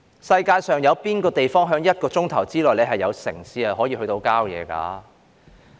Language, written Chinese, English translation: Cantonese, 世界上哪有地方是可以在一小時內由城市走到郊野的呢？, Where else on earth can we travel from city to nature in just one hour?